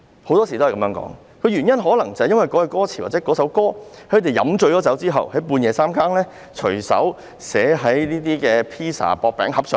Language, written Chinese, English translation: Cantonese, 很多時候，可能某一句歌詞或某一首歌，是創作人喝醉後，半夜隨手寫在薄餅盒上的。, On many occasions a certain line of lyrics or a certain song might be written casually on a pizza box at midnight after the creator got drunk